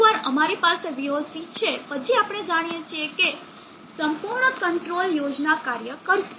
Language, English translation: Gujarati, Once we have VOC then we know that the entire control scheme will work